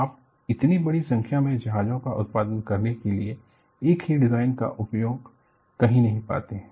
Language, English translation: Hindi, Nowhere you find, a same design was used to produce such a large number of ships